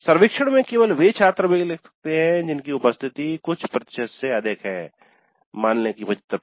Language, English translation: Hindi, Only those students whose attendance is more than, let us say 75% can participate in the survey